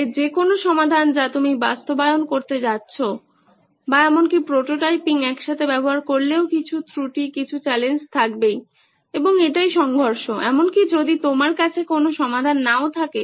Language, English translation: Bengali, So any solution that you think of implement or even are prototyping to put together will have some kind of flaw, some kind of challenge and that is the conflict even if you don’t have a solution